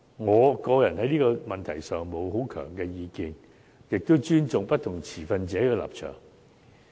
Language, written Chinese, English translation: Cantonese, 我個人在這問題上沒並有強烈意見，也尊重不同持份者的立場。, I personally do not have any strong view on this issue and respect the stance of different stakeholders